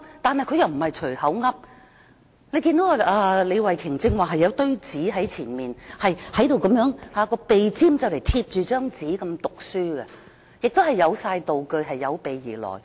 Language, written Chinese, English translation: Cantonese, 但是，他們又不是隨口亂說，我剛才看見李慧琼議員有一疊講稿在面前，她照講稿讀出，鼻尖幾乎貼着講稿，亦有道具，是有備而來的。, However they are not saying whatever that comes to their mind . Just now I saw a pile of scripts in front of Ms Starry LEE . She was reading from the scripts with her nose almost touching them